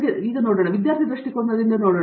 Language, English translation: Kannada, So, let me also look at it, let us say, looking at it from the student perspective